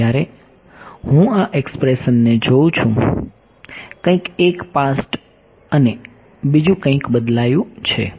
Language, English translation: Gujarati, Now, when I look at this expression that has something changed one past and one